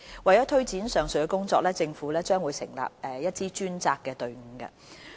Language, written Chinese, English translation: Cantonese, 為推展上述的工作，政府將成立一支專責隊伍。, The Government will form a dedicated team to take forward the above work